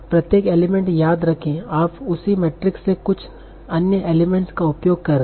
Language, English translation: Hindi, Remember for each element you are using some other elements from the same matrix